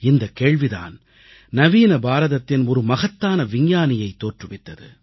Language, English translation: Tamil, The same question gave rise to a great scientist of modern India